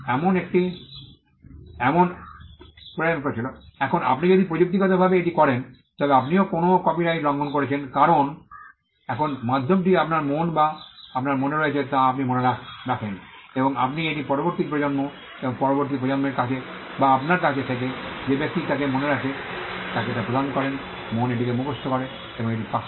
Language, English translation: Bengali, Now if you do that technically are you violating a copyright because, now the medium is your mind you remember things in your mind and you pass it on to the next generation and the next generation or the person who from you he or she remembers in her mind memorizes it and passes it on